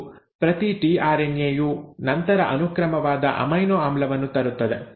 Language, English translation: Kannada, And each tRNA will then bring in the respective amino acid